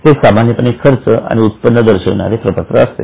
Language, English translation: Marathi, It is a statement which shows normal incomes and expenses